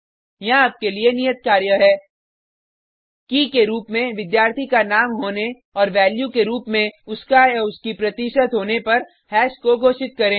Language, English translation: Hindi, Here is assignment for you Declare hash having student name as key And his/her percentage as the value